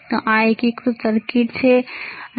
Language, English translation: Gujarati, So, this is integrated circuit, how about this